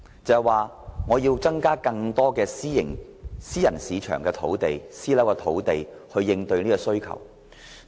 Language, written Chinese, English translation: Cantonese, 政府要增加更多用作興建私人樓宇的土地，以應對這方面的需求。, The Government needs to provide more land for the development of private housing in order to cope with such demand